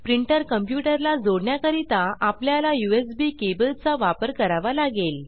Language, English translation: Marathi, To connect a printer to a computer, we have to use a USB cable